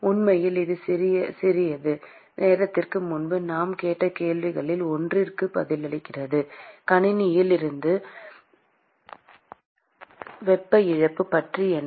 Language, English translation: Tamil, In fact, that answers one of the questions we asked a short while ago; what about heat loss from the system